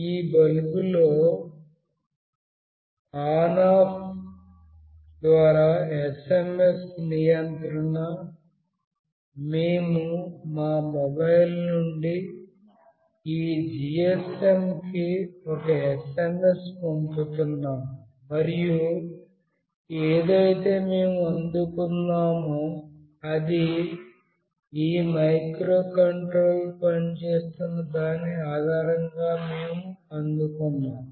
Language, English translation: Telugu, You may recall that in that bulb on off through SMS control, we were sending an SMS from our mobile to this GSM and then whatever we received based on that this microcontroller was operating